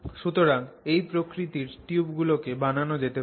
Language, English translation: Bengali, So you can make tubes of this nature